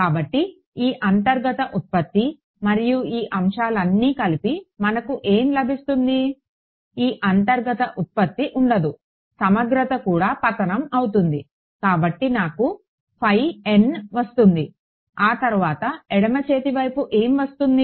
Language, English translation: Telugu, So, this inner product and all of this stuff what does it boil down to; this inner product collapses, the integral collapses I am left with phi n and then what will happen, how do what happens of the left hand side